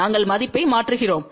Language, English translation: Tamil, We substitute the value